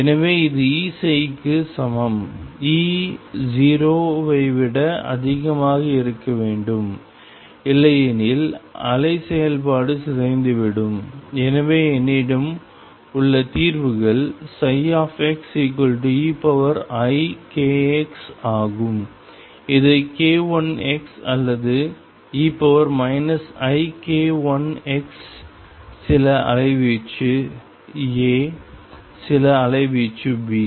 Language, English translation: Tamil, So, this is equal to E psi, E has to be greater than 0, otherwise the wave function decays and therefore, the solutions that I have are psi x equals e raised to i k let me call it k 1 x or e raised to minus i k 1 x some amplitude A, some amplitude B